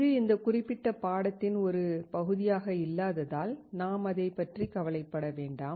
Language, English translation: Tamil, Since it is not a part of this particular course so, we do not worry about it